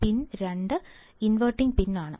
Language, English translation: Malayalam, Pin 2 is inverting